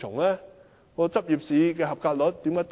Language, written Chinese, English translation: Cantonese, 為甚麼執業試的合格率會這麼低？, Why is the passing rate of the Licensing Examination so low?